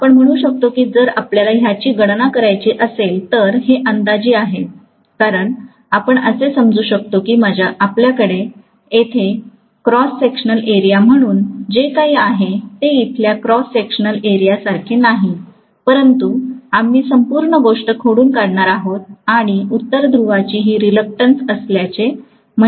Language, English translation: Marathi, So you can say that if we have to make the calculation, this is also an approximation because you please understand that whatever we are having as the cross sectional area here, will not be same as the cross sectional area here but we are going to lump the whole thing and say that this is the reluctance of North pole